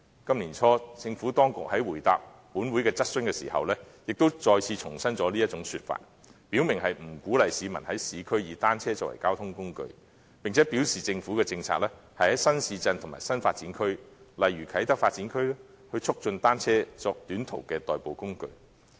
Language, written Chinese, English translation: Cantonese, 今年年初，政府當局在回答立法會的質詢時，亦再次重申這種說法，表明不鼓勵市民在市區以單車作為交通工具，並表示政府的政策是在新市鎮及新發展區，例如啟德發展區，促進單車作短途的代步工具。, In reply to a question raised in the Legislative Council early this year the Administration reiterated that members of the public were discouraged to regard bicycles as a mode of transport in the urban areas and indicated that the Governments policy was to promote the use of bicycles as a mode for short - distance commute in the Kai Tak Development Area for instance